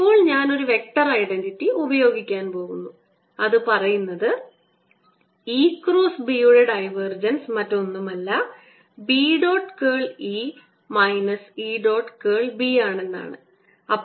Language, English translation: Malayalam, now i am going to use a vector identity which says that divergence of e cross b is nothing but b dot curl of e minus e dot curl of b